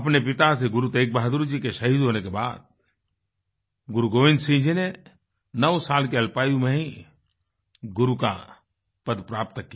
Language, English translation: Hindi, After the martyrdom of his father Shri Guru TeghBahadurji, Guru Gobind Singh Ji attained the hallowed position of the Guru at a tender ageof nine years